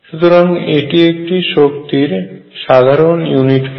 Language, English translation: Bengali, So, this is a natural unit of energy